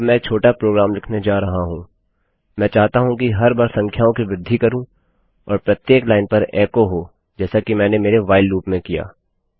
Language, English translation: Hindi, Now Im going to type a little program I want the numbers to increment each time and echo on each line as Ive done in my WHILE loop